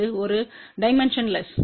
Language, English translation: Tamil, It was a dimensionless